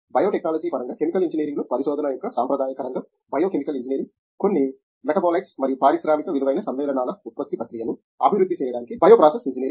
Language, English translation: Telugu, Traditional area of research in Chemical Engineering in terms of biotechnology is biochemical engineering, bioprocess engineering to develop process for production of certain metabolites cum industrial valued compounds